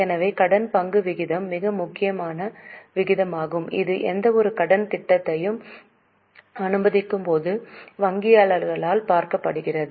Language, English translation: Tamil, So, debt equity ratio is a very important ratio which is looked by banker while sanctioning any loan proposal